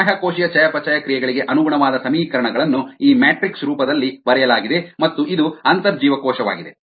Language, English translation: Kannada, the equations corresponding to extracellular metabolites have been written in this matrix and this is the intracellular one